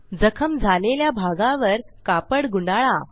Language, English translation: Marathi, Roll a cloth on the affected area